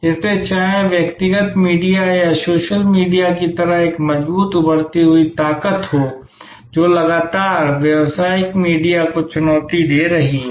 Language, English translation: Hindi, So, whether there is a strong emerging force like the personal media or social media, which is constantly challenge, challenging the commercial media